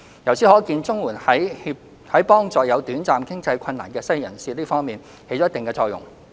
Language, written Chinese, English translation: Cantonese, 由此可見，綜援在幫助有短暫經濟困難的失業人士這方面，起了一定作用。, The above shows that CSSA is useful in assisting the unemployed who are facing temporary financial hardship